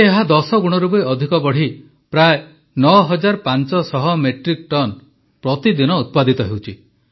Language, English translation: Odia, Now, it has expanded to generating more than 10 times the normal output and producing around 9500 Metric Tonnes per day